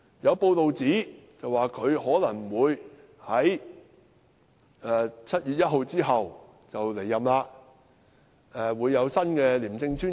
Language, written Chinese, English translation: Cantonese, 有報道指他可能會在7月1日後離任，屆時會有新的廉政專員。, It is reported that he may leave after 1 July and a new ICAC Commissioner will take over him then